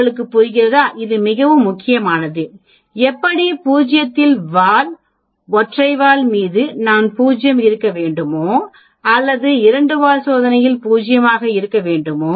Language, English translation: Tamil, Do you understand, this very very important, how to 0 in on the tail, should I 0 in on single tail or should I 0 in on two tailed test